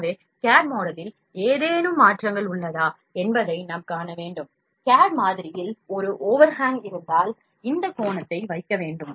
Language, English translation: Tamil, So, we need to see that is there anything overhangs in the cad model, in the cad model if there is an overhang is there, then we need to put this angle